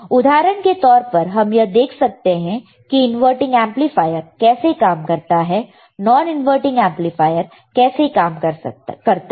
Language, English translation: Hindi, You can do measure for example, the inverting amplifier how inverting amplifier operates, right